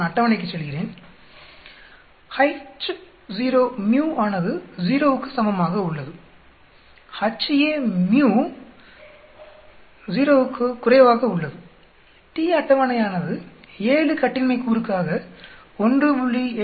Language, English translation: Tamil, I go to the table, H0 µ is equal to 0, Ha µ is less than 0, t table is 1